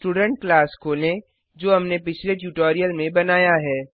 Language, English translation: Hindi, Open the Student class we had created in the earlier tutorial